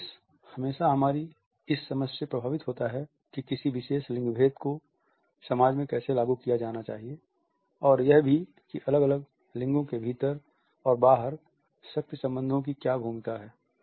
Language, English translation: Hindi, Space is always influenced by our understanding of how a particular gender code has to be enacted in a society and also what is the role of power relationships within and outside different gendered relationships